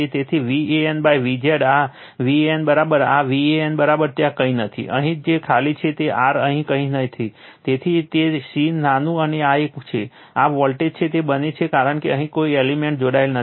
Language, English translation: Gujarati, So, V AN upon V Z this V AN is equal to this V AN is equal to nothing is there, here which is simply r nothing is there is equal to your C small an this one, this voltage it becomes because no element is connected here